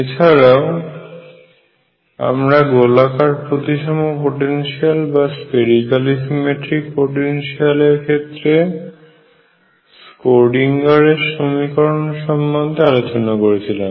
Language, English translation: Bengali, We have also discussed Schrödinger equation for spherically symmetric potentials